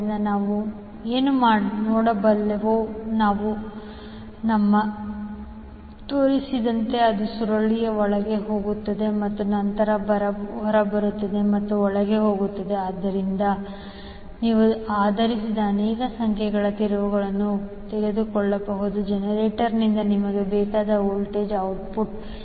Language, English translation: Kannada, So, what we can see, we, we have wound as I shown that we have found in such a way that the coil goes inside and then comes out and goes inside and so, so, you can take multiple number of turns based on the voltage output which you want from the generator